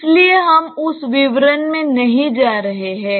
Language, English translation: Hindi, So, we are not going into that details